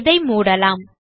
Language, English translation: Tamil, Lets close this off